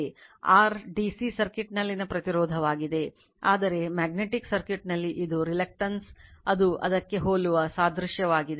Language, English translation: Kannada, And R is the resistance in DC circuit, whereas in your magnetic circuit is the reluctance right, it is just a analogy to that analogous to that right